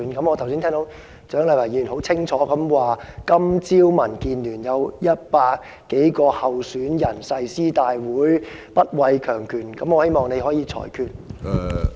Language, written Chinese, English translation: Cantonese, 我剛才聽到蔣麗芸議員很清楚地指出，今早民建聯有100多名候選人進行誓師大會，說會不畏強權，我希望你可以裁決。, I just heard Dr CHIANG Lai - wan clearly state that over 100 candidates from DAB held a pledge ceremony this morning and that they would not fear autocracy . I hope you will make a ruling